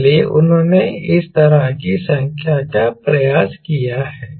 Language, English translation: Hindi, so they have attempted of this sort of a number